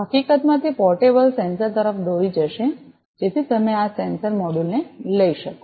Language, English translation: Gujarati, In fact, that will lead to a portable sensor so you can carry this sensor module